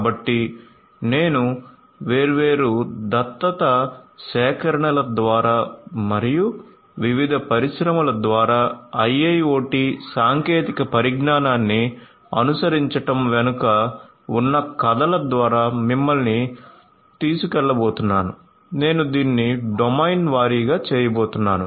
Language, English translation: Telugu, So, I am going to take you through the collection of different adoptions and the stories behind this adoptions of IIoT technologies by different industries, I am going to do it domain wise